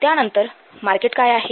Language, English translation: Marathi, Then what is the market